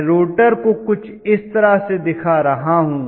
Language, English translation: Hindi, So let me show the rotor somewhat like this